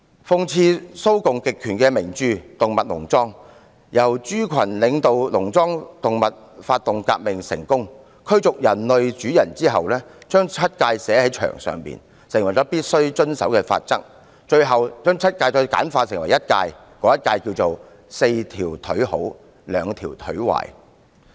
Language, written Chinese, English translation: Cantonese, 諷刺蘇共極權的名著《動物農莊》中，豬群領導農莊動物發動革命成功，驅逐了人類主人後，牠們把七誡寫在牆上，成為必須遵守的法則，之後再把七誡簡化成一誡，就是："四條腿好，兩條腿壞"。, In the famous novel Animal Farm that mocks the totalitarian regime of the Soviet Communists animals drive the farm owner away in the revolution led by pigs . Afterwards the animals write on the wall Seven Commandments that all animals have to obey and the Seven Commandments are simplified into one four legs good and two legs bad